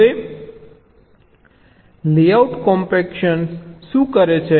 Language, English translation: Gujarati, now, layout compactor, what it does it